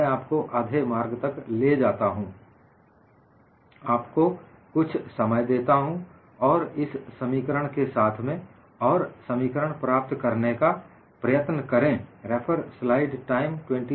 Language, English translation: Hindi, I would take you half a way, give you some time, and play with these equations, and try to get the expression